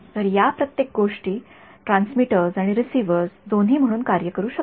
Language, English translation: Marathi, So, each of these things can act as both as a transmitter and receiver